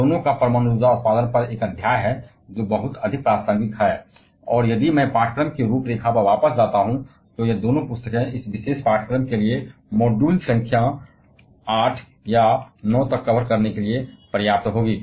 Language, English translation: Hindi, Both of them has a chapter on nuclear power generation; which is very much relevant, and if I go back to the course outline, both of this books will be sufficient to cover up to module number 8 or 9 for this particular course